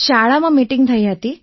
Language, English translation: Gujarati, There was a meeting in the school